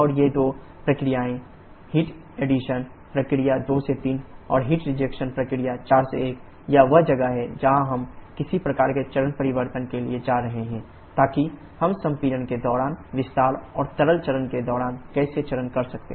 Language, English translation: Hindi, And these two processes: the heat addition process 2 3 and the heat rejection process 4 1 this is where we shall be going for some kind of phase change, so that we can have gaseous phase during expansion and liquid phase during compression